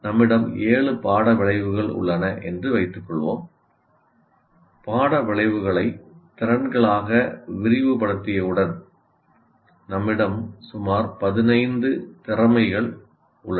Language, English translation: Tamil, Let us assume we have about the seven course outcomes and once we elaborate the course outcomes into competencies, let's say we have about 15 competencies